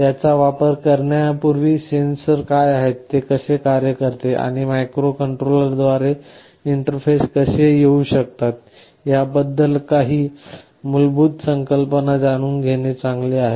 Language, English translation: Marathi, Before using them, it is always good to know what the sensors are, how they work and some basic idea as to how they can be interfaced with the microcontroller